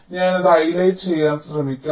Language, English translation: Malayalam, let me just try to just highlight